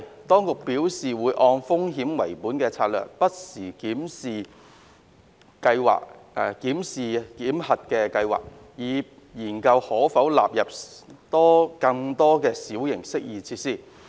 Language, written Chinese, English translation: Cantonese, 當局表示會按風險為本的策略不時檢視檢核計劃，以研究可否納入更多小型適意設施。, The Administration has indicated that it will adopt a risk - based approach to review the validation scheme from time to time to see if more minor amenity features can be included under the scheme